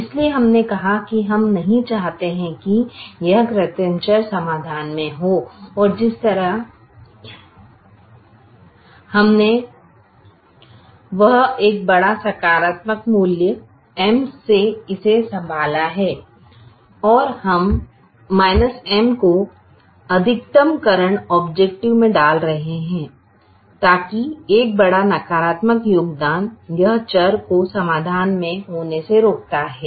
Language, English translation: Hindi, so we said we don't want this artificial variable to be in the solution and the way we handle it is by giving a large positive value, m, and we are putting a minus m in the maximization objective so that a large negative contribution prevents this variable from being in the solution